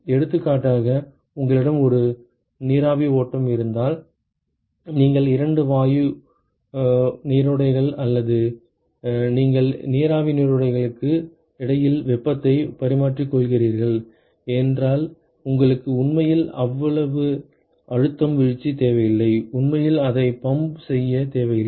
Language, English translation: Tamil, For example, if you have a vapor stream you are exchanging heat between two gas gas streams or two vapor streams, then you really do not need that much pressure drop you know really do not need to pump it that much